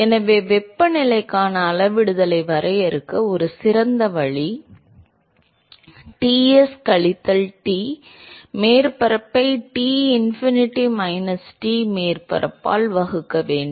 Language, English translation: Tamil, So, a better way to define a scaling for the temperature is Ts minus T surface divided by Tinfinity minus Tsurface